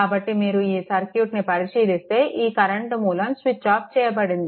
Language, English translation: Telugu, So, if you come to this look this your this current source is switched off